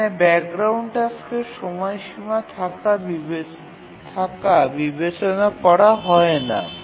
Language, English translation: Bengali, So the background task we don't consider them having a deadline